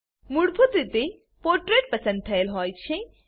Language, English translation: Gujarati, By default Portrait is selected